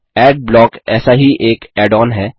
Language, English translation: Hindi, One such add on is Adblock